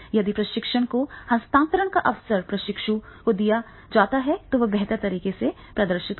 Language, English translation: Hindi, If the opportunity of transfer of training is given to the trainee, then definitely he will be able to demonstrate in a better way